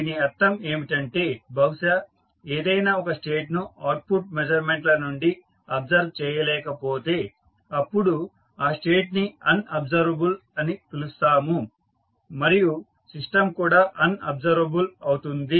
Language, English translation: Telugu, That means that if anyone of the states cannot be observed from the measurements that is the output measurements, the state is said to be unobservable and therefore the system will be unobservable